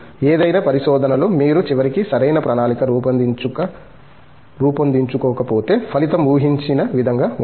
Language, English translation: Telugu, In any research, if you donÕt plan anything properly ultimately, the result is not going to be as expected